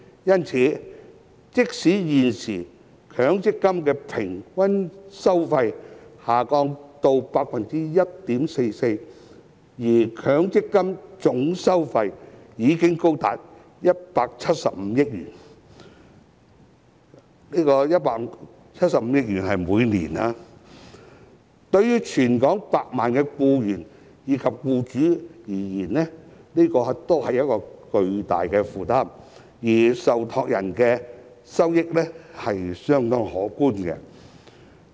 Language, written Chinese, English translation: Cantonese, 因此，即使現時強積金的平均收費下跌至 1.44%， 但強積金的總收費已經高達175億元——是每年175億元——對全港數百萬名僱員及僱主而言都是巨大的負擔，而受託人的收益是相當可觀的。, Therefore despite a cut in the average fee of MPF to 1.44 % nowadays its total fees already amount to as much as 17.5 billion―17.5 billion per year―which are a huge burden on millions of employees and employers in Hong Kong while trustees make quite handsome profits